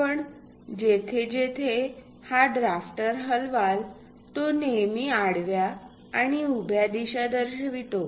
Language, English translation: Marathi, Wherever you move this drafter, it always shows only horizontal and vertical directions